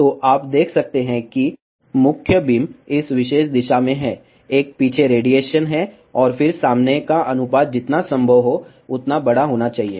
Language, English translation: Hindi, So, you can see that main beam is in this particular direction, there is a back radiation, and again front to back ratio should be as large as possible